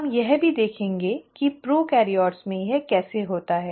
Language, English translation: Hindi, We will also see how it happens in prokaryotes in a bit